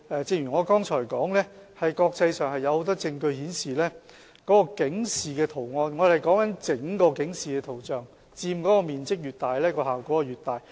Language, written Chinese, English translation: Cantonese, 正如我剛才所說，國際上有很多證據顯示，整個警示圖像所佔面積越大，效果越大。, As I said earlier there is much evidence in the international community demonstrating that the effectiveness of graphic warnings increases with their overall prominence